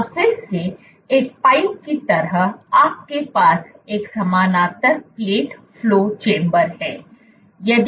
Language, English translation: Hindi, Where again like a pipe, you have a parallel plate flow chamber